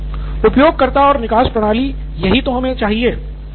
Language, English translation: Hindi, User and exit system, this is what we need